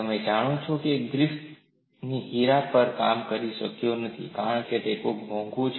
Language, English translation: Gujarati, Griffith could not have worked on diamond because it is so expensive